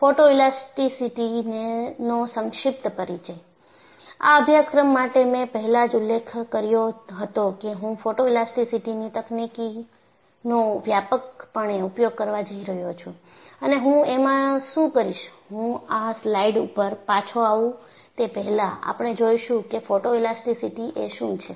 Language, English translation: Gujarati, And for this course, I had mentioned earlier that I am going to use extensively, the technique of photoelasticity, and what I will do is, before I come back to this slide, we will go and see what is photoelastcity